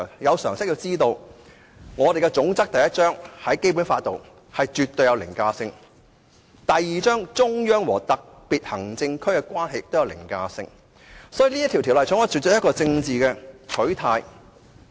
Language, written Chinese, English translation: Cantonese, 有常識的人都知道，《基本法》第一章總則具絕對凌駕性；第二章中央和香港特別行政區的關係也具凌駕性，所以《條例草案》根本有政治取態。, People with common sense will know that Chapter I of the Basic Law is absolutely overriding; Chapter II is also overriding and so the Bill actually has a political stance